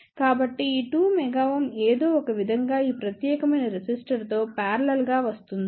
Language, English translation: Telugu, So, this 2 mega ohm somehow comes in parallel with this particular resistor